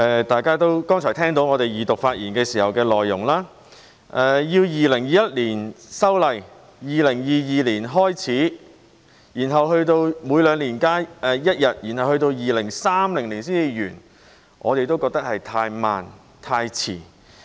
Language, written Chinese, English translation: Cantonese, 大家剛才聽到我們在二讀發言時表示，如果在2021年修例、2022年開始每兩年增加一天假期，然後到了2030年才完成增加5天假期，我們覺得是太慢、太遲。, Members have heard us say during the Second Reading debate that if the Ordinance is amended in 2021 to increase an additional holiday every two years starting from 2022 the granting of all five additional holidays will only be completed in 2030 . We consider this too slow and too late